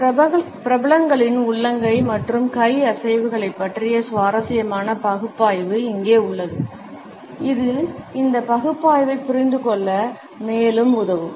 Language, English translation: Tamil, Here we have an interesting analysis of the palm and hand movements of certain celebrities which would further help us to understand this analysis